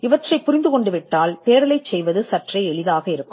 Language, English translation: Tamil, Once you understand this, it is easier for you to do the search